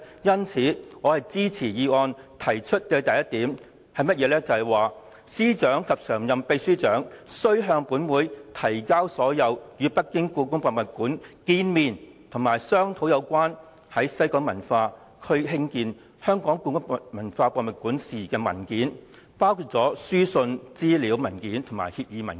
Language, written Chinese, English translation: Cantonese, 因此，我支持議案第一點提出，"司長及常任秘書長須向本會提交所有與北京故宮博物館見面及商討有關在西九文化區興建香港故宮文化博物館事宜的文件，包括書信、資料文件和協議文件"。, Thus I support the first point stated in the motion that the Chief Secretary and the Permanent Secretary are required to produce all relevant documents regarding the meetings and discussions with the Beijing Palace Museum on the building of HKPM in WKCD including the letters information papers and agreement documents